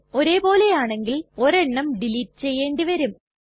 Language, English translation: Malayalam, If they are same then we may delete one of them